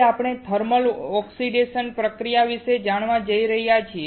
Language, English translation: Gujarati, Today, we are going to learn about thermal oxidation process